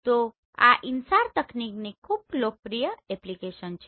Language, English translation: Gujarati, So these are very popular application of this InSAR technology